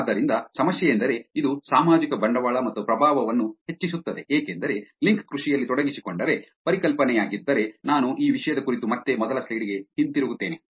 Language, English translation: Kannada, So, the problem is that this increases the social capital and the influence because if the link farming engage, if the concept, I will go back to the first slide again on this topic